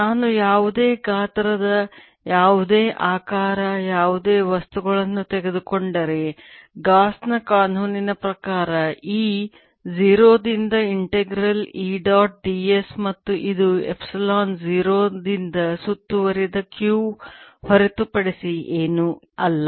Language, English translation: Kannada, if i take any small volume of any size, any shape, any things, then by gauss's law integral d, e, dot, d, s, since e zero, zero and this is nothing but q enclosed by epsilon zero